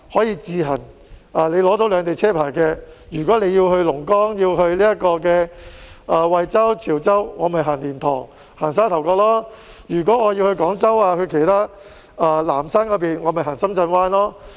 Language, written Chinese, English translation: Cantonese, 如果有兩地車牌的車輛要去龍崗、惠州、潮州等地，就可以使用蓮塘、沙頭角；如果要去廣州、南沙等地，就可以使用深圳灣。, If a vehicle with dual licence plates needs to go to Longgang Huizhou Chaozhou and so on it should be allowed to use the Liantang Port or the Sha Tau Kok Port . If it needs to go to Guangzhou Nansha and so on it should be allowed to use the Shenzhen Bay Port